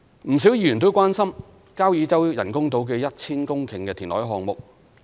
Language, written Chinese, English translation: Cantonese, 不少議員關心交椅洲人工島的 1,000 公頃填海項目。, Quite a number of Members are concerned about the 1 000 - hectare reclamation project for the construction of Kau Yi Chau artificial islands